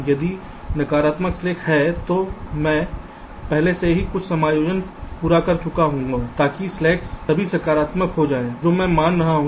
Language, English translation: Hindi, if there are negative slacks, i have already meet some adjustments so that the slacks are become all positive